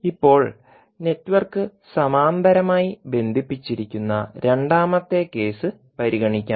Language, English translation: Malayalam, Now, let us consider the second case in which the network is connected in parallel